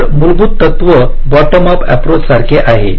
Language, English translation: Marathi, so the principle is the same as in the bottom up thing